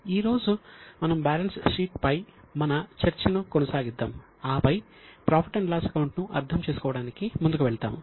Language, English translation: Telugu, Today we will continue with our discussion on balance sheet and then we will proceed to understand the profit and loss account